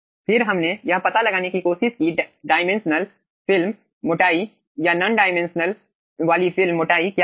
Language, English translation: Hindi, okay, then we try to find out what is the dimensionaless film thickness and non dimensionaless film thickness